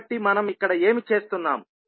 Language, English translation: Telugu, So, what we are doing here